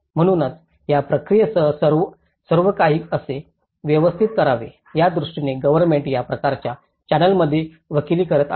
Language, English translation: Marathi, So, that is where a government has been advocating in this kind of channel how everything has to streamline with this process